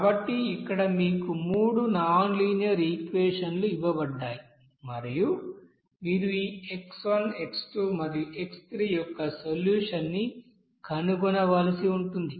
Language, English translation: Telugu, So here three you know nonlinear equation given to you and you have to find out the, you know solution of this x1, x2 and x3